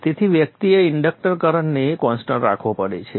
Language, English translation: Gujarati, Therefore one has to keep the inductor current continuous